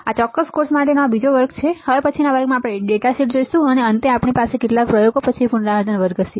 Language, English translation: Gujarati, These second last lecture for this particular course, next lecture we will see the data sheet, and finally, we will have a recall lecture follow followed by some experiments